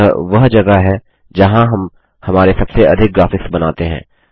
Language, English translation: Hindi, This is where we create most of our graphics